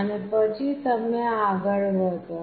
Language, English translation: Gujarati, And then you move on